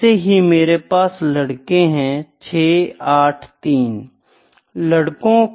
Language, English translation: Hindi, Let me say this is 5 6 2